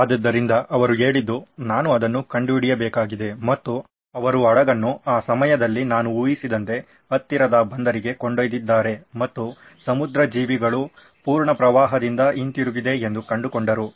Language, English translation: Kannada, So he said, I have to find out and he took it to the nearest shipyard I guess at the time and found out that marine life was back in full flow